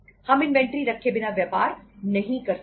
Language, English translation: Hindi, We canít do business without keeping an inventory